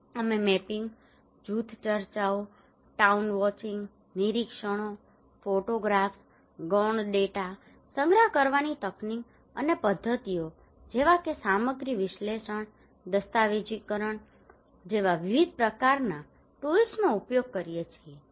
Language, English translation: Gujarati, We use different kind of tools like mapping, group discussions, town watching, observations, photographs, secondary data collection techniques and methods were also used like content analysis, documentations okay